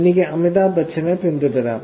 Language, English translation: Malayalam, I can follow Amitabh Bachchan